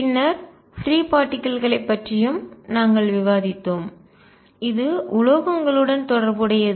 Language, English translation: Tamil, Then we have also discussed free particles and this was related to metals